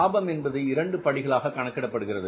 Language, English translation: Tamil, Profit is calculated in two steps